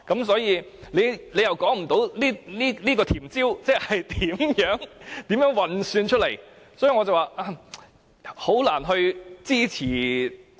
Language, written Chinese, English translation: Cantonese, 所以，政府未能說出這"甜招"是如何運算出來，因此，我表示我難以支持......, But the Government is unable to show us the computations leading to this sweetener so I must say it is difficult for me to give my support